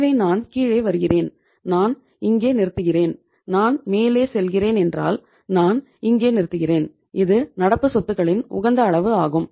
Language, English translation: Tamil, So if I am coming down, I am stopping here and if I am going up I am stopping here and this is the level of optimum level of current assets